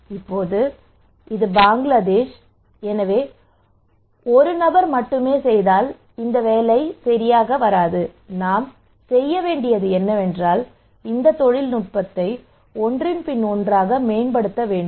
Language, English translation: Tamil, Now this is Bangladesh, so if only one person is doing as I am saying it would not work, what we need to do is that we need to promote this technology one after another